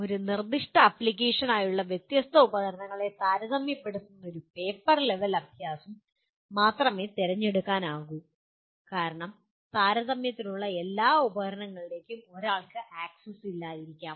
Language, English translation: Malayalam, Selection can only be paper level exercise comparing the different tools for a specified application because one may not have access to all the tools for comparison